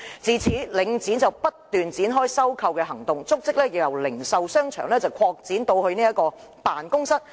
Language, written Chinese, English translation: Cantonese, 自此，領展不斷展開收購行動，足跡由零售商場擴展至辦公室。, Since then Link REIT continued to make acquisitions and the scope extended from retail shopping arcades to offices